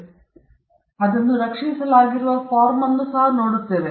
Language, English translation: Kannada, Then, we look at the form by which it is protected